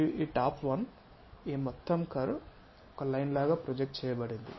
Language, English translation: Telugu, And this top one this entire curve projected onto this line on that line